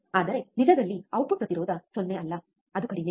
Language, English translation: Kannada, But in true the output impedance is not 0, it is low